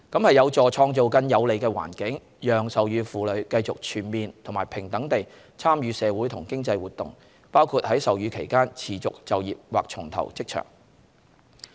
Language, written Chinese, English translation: Cantonese, 這有助創造更有利的環境，讓授乳婦女繼續全面和平等地參與社會和經濟活動，包括在授乳期間持續就業或重投職場。, It will also be conducive to creating a more enabling environment for breastfeeding women to continue their full and equal social and economic participation including staying in or re - joining the workforce while breastfeeding